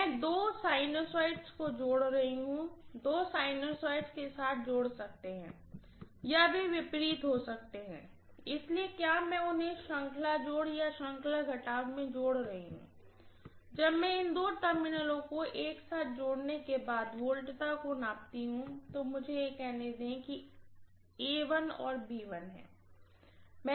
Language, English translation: Hindi, I am connecting two sinusoids, with the two sinusoids can be adding or they can be opposite, so whether I am connecting them in series addition or series subtraction depends upon when I measure the voltage after connecting these two terminals together, so let me say this is probably A1 and let me call this is B1